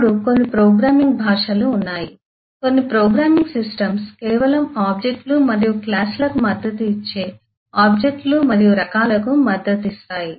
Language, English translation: Telugu, now there are some programming language, some programming systems, which just support objects and classes, that is, objects and types, but do not support inheritance